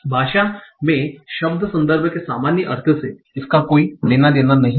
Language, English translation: Hindi, So this has nothing to do with the ordinary meaning of word context in language